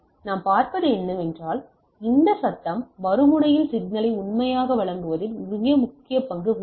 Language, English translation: Tamil, So, what we see, this noise also plays a important role in faithful delivery of the signal at the other end